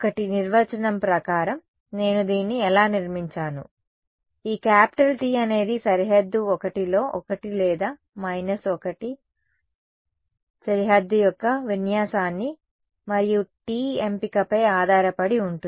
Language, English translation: Telugu, 1 that by definition that is how I constructed it, these capital T its one along the boundary 1 or minus 1 depending on the orientation of the boundary and choice of t right